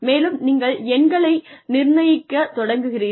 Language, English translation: Tamil, And, you start assigning numbers